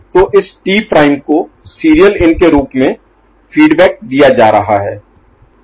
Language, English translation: Hindi, So, this T prime is getting fed back as a serial in ok